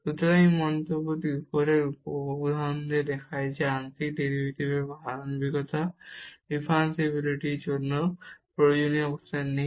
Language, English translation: Bengali, So, this remark the above example shows that the continuity of partial derivatives is not in necessary condition for differentiability